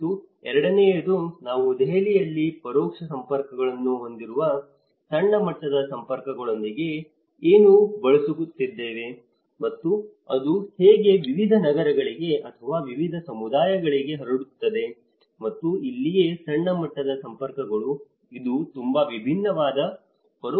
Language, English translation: Kannada, And the second one is with a macro level networks which has an indirect networks, how from what we are using in Delhi and how it is spreads to different cities or different communities across and this is where the macro level networks, it goes along with a very different indirect networks as well